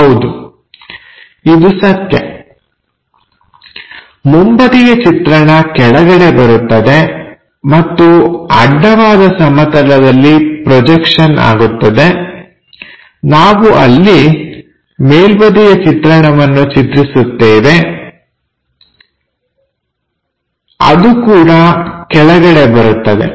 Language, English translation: Kannada, Yes, you are right the front view will be in the bottom level and the horizontal projection what we do constructing top view also that comes at bottom